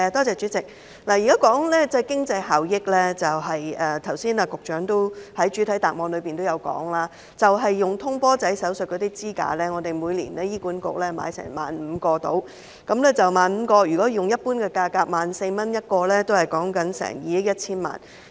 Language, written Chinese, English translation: Cantonese, 主席，說到經濟效益，以局長剛才在主體答覆中提及的通波仔手術支架為例，醫管局每年採購約15000個支架，若以一般價格每個 14,000 元計算，需要2億 1,000 萬元。, President speaking of cost - effectiveness we can take the coronary stents used in PCI operations mentioned by the Secretary in her main reply just now as an example . HA procures about 15 000 coronary stents every year incurring an expenditure of 210 million if calculated at the normal price of 14,000 each